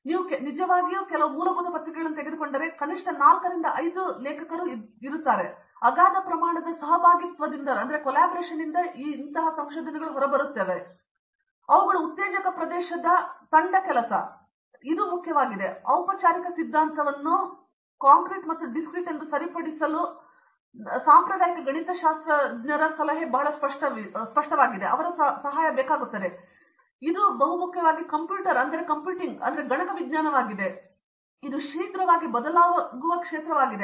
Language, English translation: Kannada, If you take some really seminal papers there are at least 4 to 5 authors right, these all comes out of some large scale collaboration those are exciting area team work is very important and then my traditional advice of getting your formal theory correct your concrete and discrete mathematics very clear that is also very, very important computer science is a rapidly changing field